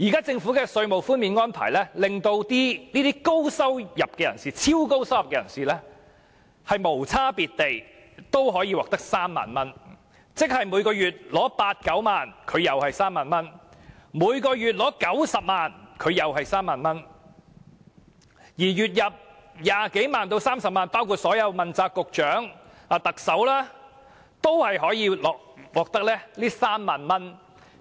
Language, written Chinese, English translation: Cantonese, 政府現時的稅務寬減安排，令這些超高收入人士也無區別地獲寬減3萬元，即月入八九萬元的納稅人可獲寬減3萬元，月入90萬元的也獲寬減3萬元，連月入20萬元至30萬元的人，包括所有問責局局長和特首都獲寬減3萬元。, Under the current taxation relief arrangements introduced by the Government those super high income earners can indiscriminately enjoy the tax concession of 30,000 . In other words not only taxpayers earning a monthly income of 80,000 to 90,000 can enjoy the 30,000 tax concession those earning a monthly income of 900,000 can also enjoy the tax concession of 30,000 . Even taxpayers earning a monthly income of 200,000 to 300,000 including all the accountability Directors of Bureaux and the Chief Executive will enjoy the tax concession of 30,000